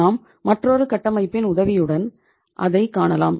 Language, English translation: Tamil, We will find it with the help of another structure